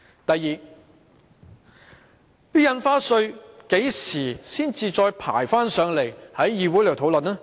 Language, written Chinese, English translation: Cantonese, 第二，《條例草案》何時才再排期交付議會討論？, Second when will the Bill be rescheduled for discussion by the Council?